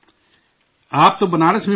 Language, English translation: Urdu, You have studied in Banaras